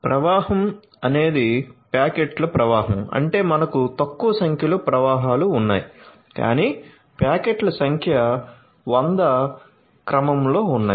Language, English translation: Telugu, So, if flow is a stream of packets; that means, we have generating few number of flows, but number of packets are in the order of 1000